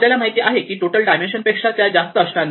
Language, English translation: Marathi, You know that the total dimension will not be more than that